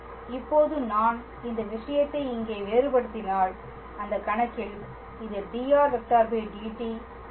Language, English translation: Tamil, Now, if I differentiate this thing here, so then in that case this is dr dt